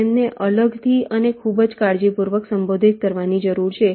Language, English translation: Gujarati, they need to be addressed separately and very carefully